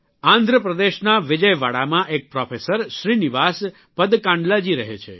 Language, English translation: Gujarati, There is Professor Srinivasa Padkandlaji in Vijayawada, Andhra Pradesh